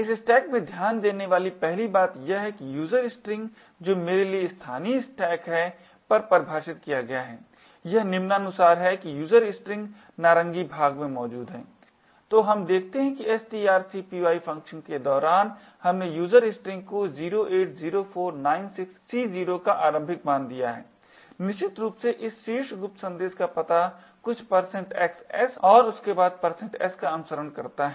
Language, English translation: Hindi, The first thing to note in this stack is that the user string which is local to me is defined on the stack as follows this is the user string is present the orange part, so what we see is that during the string copy function we have initialised user string as follows 08, 04, 96, C0 essentially the address of this top secret message followed by a couple of % xs and then the % s